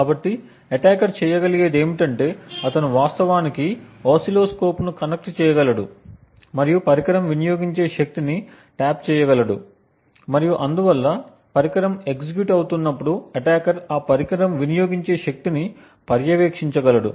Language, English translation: Telugu, So what the attacker could do is that he could actually connect an oscilloscope and tap out the power consumed by the device and therefore as the device is executing the attacker would be able to monitor the amount of power consumed by that device